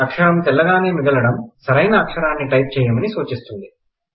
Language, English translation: Telugu, The characters remain white indicating that you need to type it correctly